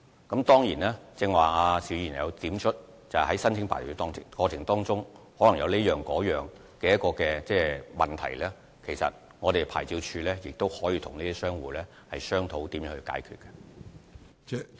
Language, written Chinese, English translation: Cantonese, 邵議員剛才提出，在申請牌照的過程中可能遇到各種問題，其實牌照事務處可以與商戶商討如何解決問題。, Mr SHIU has just said that problems may be encountered in the process of applying for a licence; in fact OLA can discuss with operators how to solve the problems